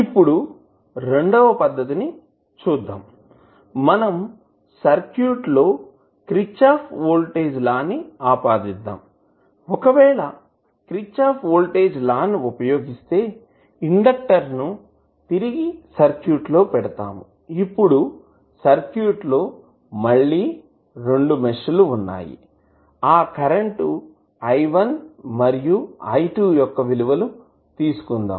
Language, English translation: Telugu, Now, if you see second method, we apply KVL to the circuit so, if you apply KVL you simply, put the inductor back to the circuit then the circuit will again have two meshes let us take the value of those currents as I1 I2